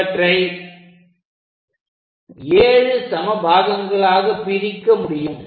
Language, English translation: Tamil, Similarly this we have to divide into 7 equal parts